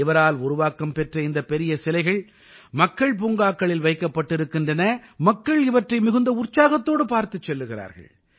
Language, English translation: Tamil, These huge sculptures made by him have been installed in public parks and people watch these with great enthusiasm